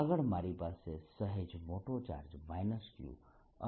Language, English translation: Gujarati, next, i have slightly larger charge, minus q plus q